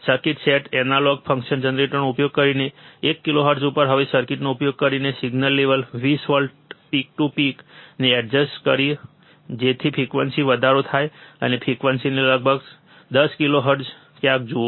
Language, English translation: Gujarati, Using the circuit set analog function generator to 1 kilohertz now using the circuit adjust the signal level 20 volts peak to peak increase the frequency and watch the frequency somewhere about 10 kilohertz